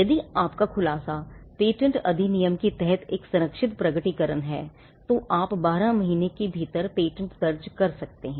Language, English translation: Hindi, If your disclosure is a protected disclosure under the Patents Act, then you can file a patent within 12 months